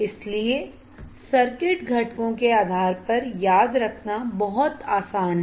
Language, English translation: Hindi, So, very easy to remember based on circuit components as well